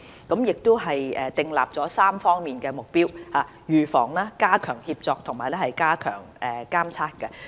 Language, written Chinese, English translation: Cantonese, 我們並且訂立了3方面的目標：預防、加強協作及加強監測。, We have set three major goals in this regard prevention strengthened coordination and enhanced monitor